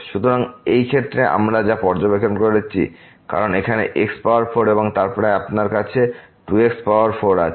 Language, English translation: Bengali, So, in this case what we observed because here power 4 and then, you have 2 power 4 here